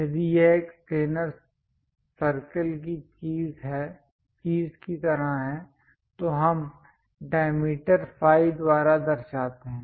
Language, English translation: Hindi, If it is something like a circle planar thing, we represent by diameter phi